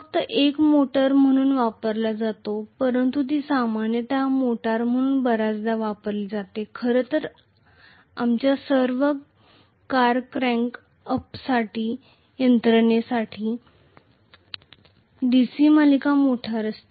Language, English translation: Marathi, Only as a motor it is used but it is commonly used as a motor very very often, in fact, all our cars contain a DC series motor for cranking up mechanism